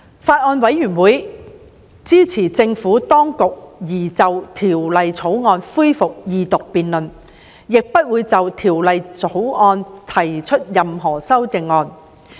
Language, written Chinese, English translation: Cantonese, 法案委員會支持政府當局擬就《條例草案》恢復二讀辯論，亦不會就《條例草案》提出任何修正案。, The Bills Committee supports the resumption of the Second Reading debate on the Bill and will not propose any amendments to the Bill